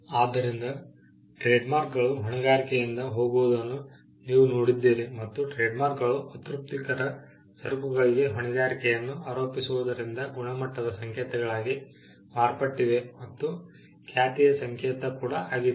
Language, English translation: Kannada, So, you have seen trademarks go from liability and we have seen trademarks go from attributing liability to unsatisfactory goods to becoming signals of quality then, becoming symbols of reputation